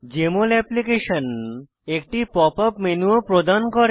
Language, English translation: Bengali, Jmol Application also offers a Pop up menu